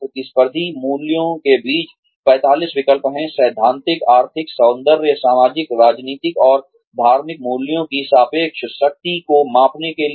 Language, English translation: Hindi, There are 45 choices, among competing values, in order to, measure the relative strength of, theoretical, economic, aesthetic, social political, and religious values